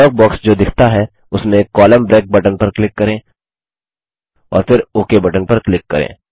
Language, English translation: Hindi, In the dialog box which appears, click on the Column break button and then click on the OK button